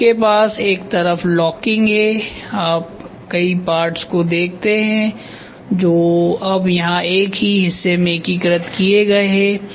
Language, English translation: Hindi, So, you have one side locking and you see number of parts a number of parts, which were here are now integrated into a single part